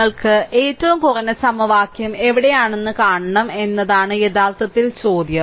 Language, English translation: Malayalam, Actually question is that you have to see that where you have a minimum number of equation